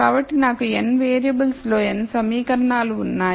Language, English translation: Telugu, So, I have n equations in n variables